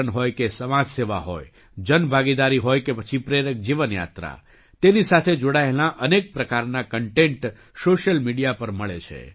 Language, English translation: Gujarati, Be it tourism, social cause, public participation or an inspiring life journey, various types of content related to these are available on social media